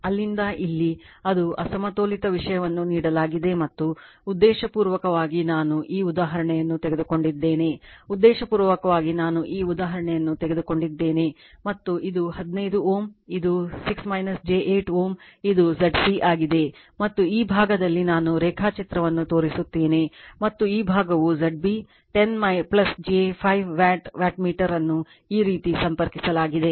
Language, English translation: Kannada, So, here it is un , Unbalanced Unbalanced thing is given and the intentionally I have taken this example right intentionally I have taken this example , and this is 15 ohm , this is your 6 minus j 8 ohm that is your Z c and this side I will show you the diagram and this side is your your Z b 10 plus j 5 watt wattmeter is connected like this